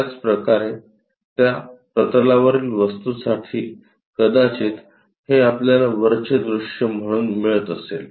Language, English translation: Marathi, Similarly, for the object onto that plane, we may be getting this one as the top view